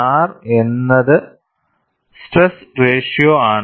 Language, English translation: Malayalam, R is a stress ratio